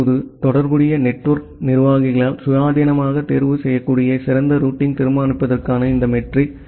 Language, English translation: Tamil, Now, this metric for deciding the best routing that can be independently chosen by the corresponding network administrators